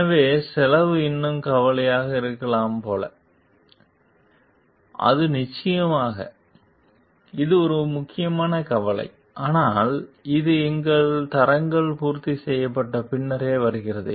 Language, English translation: Tamil, So, like cost may still be the concern, it said of course, it is an important concern, but it comes only after our quality standards are met